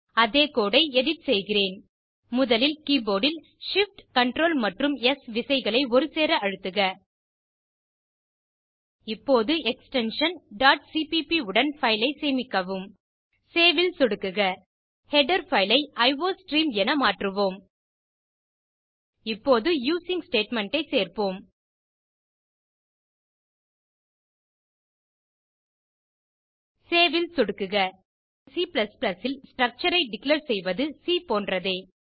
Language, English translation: Tamil, I will edit the same code First press shift, Ctrl and S keys simultaneously on the keyboard Now save the file with an extension .cpp and click on save Lets change the header file as iostream Now include the using statement and click on save Structure declaration in C++ is same as in C So no need to change anything here At the end we will replace the printf statement with the cout statement